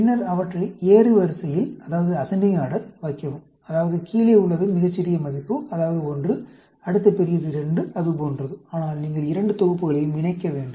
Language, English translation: Tamil, And then, put them in ascending order, that means, smallest value at the bottom, that is 1, then the next larger is 2, like that; but, you have to combine both sets